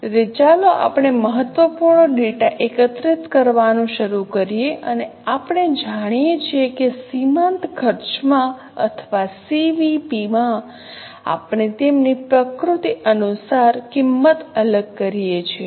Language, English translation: Gujarati, So, let us start collecting the important data and we know in marginal costing or in CVP, we segregate the costs as for their nature